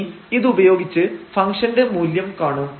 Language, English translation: Malayalam, These are the 3 points we will evaluate the function value